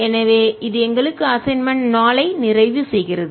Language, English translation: Tamil, so this completes assignment four for us